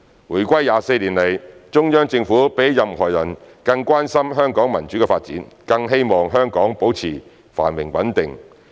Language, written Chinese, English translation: Cantonese, 回歸24年來，中央政府比起任何人更關心香港民主的發展，更希望香港保持繁榮穩定。, Over the past 24 years since Hong Kongs return to the Motherland no one else has cared more about Hong Kongs democracy and continued prosperity and stability than the Central Government